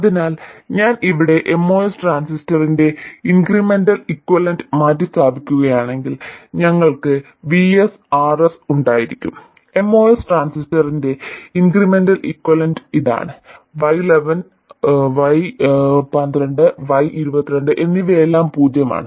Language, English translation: Malayalam, So if I replace the incremental equivalent of the MOS transistor here we will have VS, RS, and the incremental equivalent of the most transistor is just this